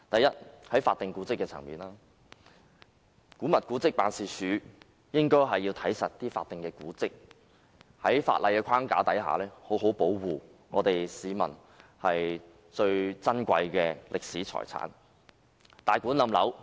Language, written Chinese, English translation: Cantonese, 首先，在法定古蹟的層面，古蹟辦負責監管法定古蹟，在法例框架下好好保護珍貴的歷史遺產。, First declared monuments . AMO is responsible for overseeing that declared monuments which are our valuable historic heritage are properly protected under the legal framework